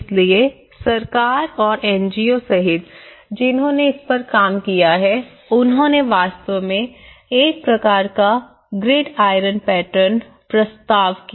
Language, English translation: Hindi, So, including the government and the NGOs who have worked on it, they actually proposed a kind of grid iron patterns